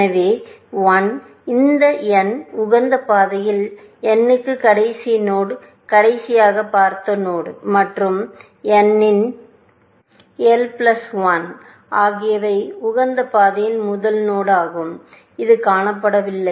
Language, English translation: Tamil, So, n of l, last node on optimal path to n, last node seen, and n of l plus one is the first node on optimal path, which is not seen